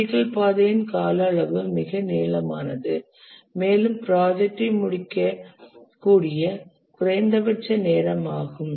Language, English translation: Tamil, The critical path is the one where the duration is the longest and that is the minimum time by which the project can exceed